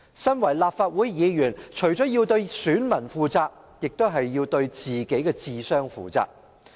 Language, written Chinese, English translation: Cantonese, 身為立法會議員，我們除了要對選民負責，亦要對自己的智商負責。, As Members of this Council we must be accountable not only to our voters but also to our intelligence quotient